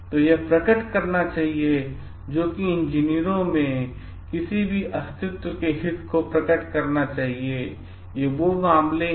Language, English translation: Hindi, So, this should reveal, which should reveal any existence interest in the engineers that they have in that matters